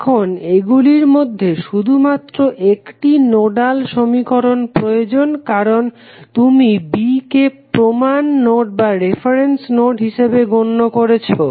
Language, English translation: Bengali, Now, out of that only one nodal equation is required because you have taken B as a reference node